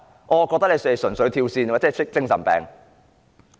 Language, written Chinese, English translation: Cantonese, 我卻認為他們純粹"跳線"，有精神病。, I think they are simply not in their right mind . They are sick in the head